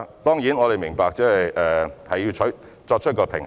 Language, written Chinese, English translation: Cantonese, 當然，我們也明白當中需要作出平衡。, Certainly we also understand that a balance has to be struck